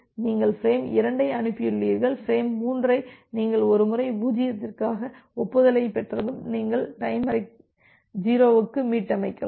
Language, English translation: Tamil, So, you have transmitted frame 2 then, frame 3 when once you have received the acknowledgement 0 then; that means, you can reset the timer for 0